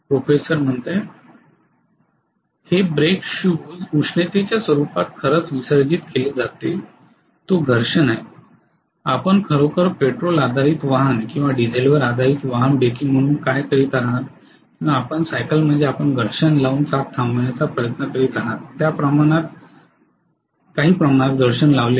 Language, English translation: Marathi, It is actually dissipated in the form of you know heat in the brake shoes that is friction, what you are doing as actually breaking in any of the petrol based vehicle or diesel based vehicle or your bicycle is your putting really some amount of friction you are trying to stop the wheel by putting friction